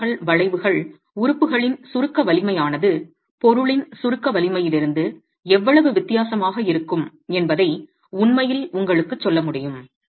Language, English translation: Tamil, These load deflection curves will actually be able to tell you how much the strength in compression of the element is going to be different from the compressive strength of the material itself